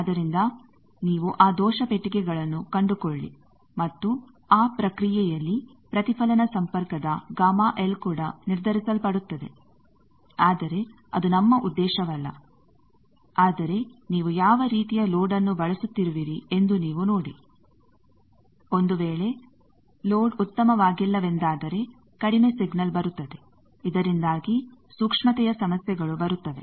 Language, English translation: Kannada, So, you find those error boxes and also in the process gamma L of reflect connection gets determined that was not your objective, but you see that what type of load you are using suppose that load is not very good because if the signal coming low then there are the sensitivity problems come